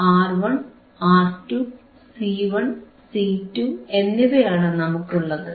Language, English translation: Malayalam, We have value of R 1, R 2, C 1 and C 2